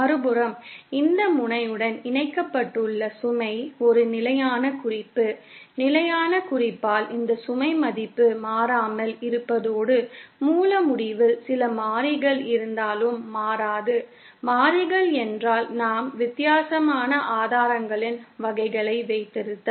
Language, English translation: Tamil, On the other hand the load that is connected to this end is a standard reference, by standard reference, I mean this value of load remains constant and does not change even if we have some variables at the source end, variables meaning if we have different types of sources